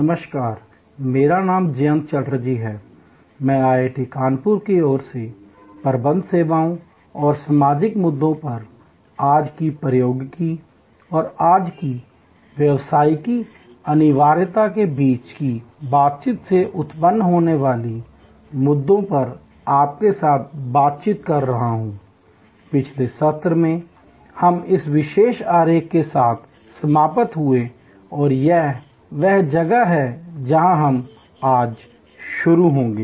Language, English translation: Hindi, Hello, I am Jayanta Chatterjee from IIT Kanpur, we are interacting on this existing new topic of services management in the contemporary world and the issues arising out of the interaction between today’s technology and today’s business imperatives